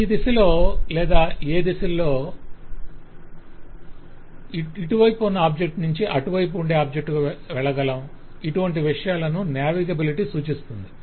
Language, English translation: Telugu, so navigability tells us which direction or which directions in which i can go from one object on this side to another object in this side